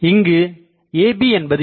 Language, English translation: Tamil, And so, what is AB